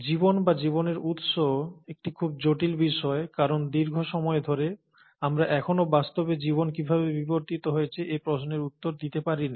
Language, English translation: Bengali, Now, life, or origin of life is a very intriguing topic because for a very long time, we still haven't been able to answer the question as to how life really evolved